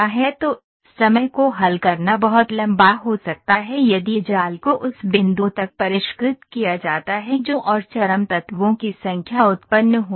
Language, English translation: Hindi, So, also solving times can become very long if mesh is refined to the point that and extreme number of elements generated